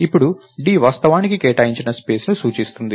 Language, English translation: Telugu, So, now d is actually pointing to an allocated space